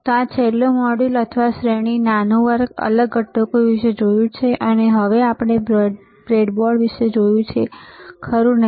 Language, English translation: Gujarati, So, last module or series, short lecture, we have seen about the discrete components, and we have seen about the breadboard, right